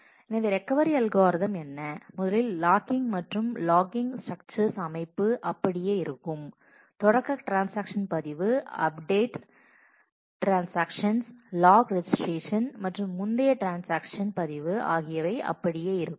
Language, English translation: Tamil, So, what is the recovery algorithm, first is logging and the logging structure remains same; the start transaction log, the update transaction log and the commit transaction log as before